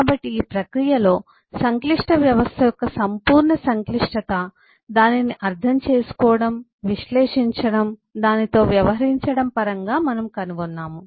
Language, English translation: Telugu, so in this process we have found that eh the overall complexity of a complex system in terms of understanding it, analyzing it, eh, dealing with it